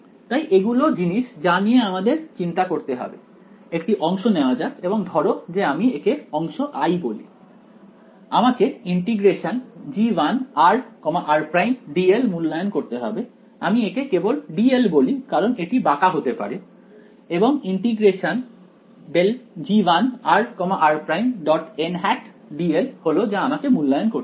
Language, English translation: Bengali, So, let us so, these are the things that I have to worry about let us take a segment let us call it segment i, I have to evaluate g 1 r r prime d r or I just call it d l because it may be curved and I have to evaluate grad g 1 r r prime n hat d l that is what I have to evaluate